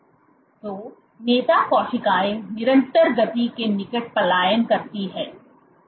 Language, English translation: Hindi, So, leader cells migrate with near constant speeds